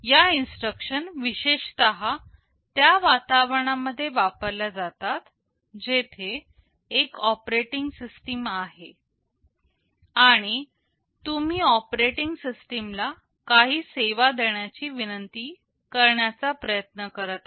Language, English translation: Marathi, These instructions are typically used in environments where there is an operating system and you are trying to request some service from the operating system